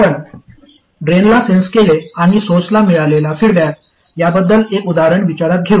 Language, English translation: Marathi, Let me consider an example where we censored the drain and feedback to the source